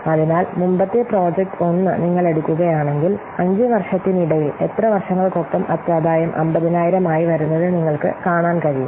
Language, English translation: Malayalam, So, if you will take our previous project that is project one, here you can see the net profit is coming to be 50,000 along how many years